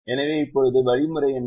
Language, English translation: Tamil, so now, what is the algorithm